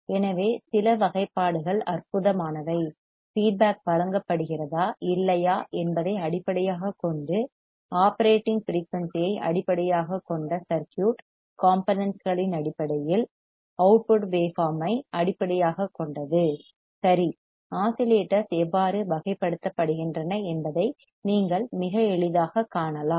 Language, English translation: Tamil, So, some of the classifications are based on awesome, based on output waveform based on circuit components based on operating frequency based on whether feedback is provided or not, right, you can see very easily how the oscillators are classified